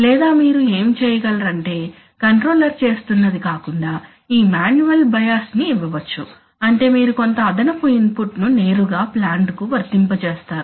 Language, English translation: Telugu, Or what you could do is apart from what the controller is doing you can give a you can give what is known as this manual bias that is you apply some additional input, right directly to the plant